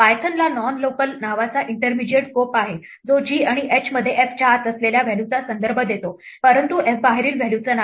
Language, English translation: Marathi, Python has an intermediate scope called non local which says within g and h refer to the value inside f, but not to the value outside f